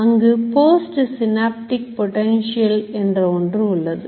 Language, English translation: Tamil, There is something called post synaptic potential